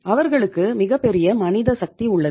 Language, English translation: Tamil, They have huge manpower